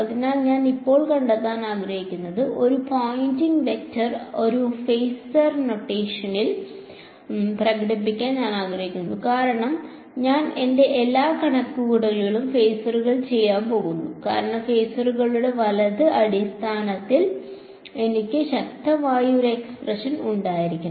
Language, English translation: Malayalam, So, I want to now find out, I want to express this Poynting vector in a phasor notation because I am going to do all my calculations in phasor I should have an expression for power in terms of the phasors right